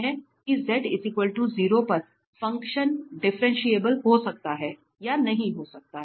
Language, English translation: Hindi, That at z equal to 0 the function may be differentiable may not be differentiable